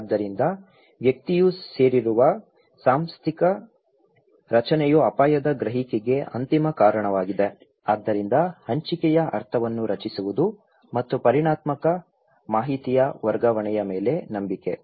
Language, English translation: Kannada, So, institutional structure of at which the individual belong is the ultimate cause of risk perception so, creation of shared meaning and trust over the transfer of quantitative information